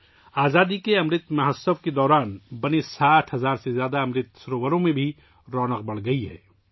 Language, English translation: Urdu, More than 60 thousand Amrit Sarovars built during the 'Azaadi ka Amrit Mahotsav' are increasingly radiating their glow